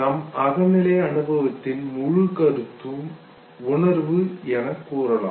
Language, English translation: Tamil, The whole concept of subjective experience know the feeling